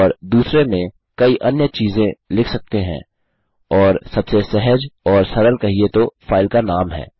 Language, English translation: Hindi, And in the second one we can have a variety of properties and the simplest and most easy one to think about is the name of the file